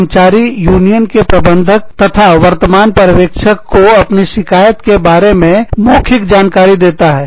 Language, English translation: Hindi, The employee tells, the union steward and immediate supervisor, about his or her grievance, orally